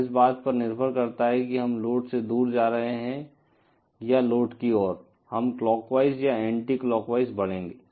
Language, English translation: Hindi, And depending on whether we are moving away from the load or towards the load, we will be traversing in a clockwise direction or anticlockwise direction